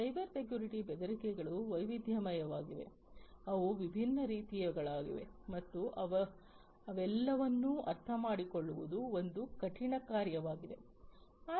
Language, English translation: Kannada, Cybersecurity threats are varied, they are of different types and going through and understanding all of them is a herculean task, by itself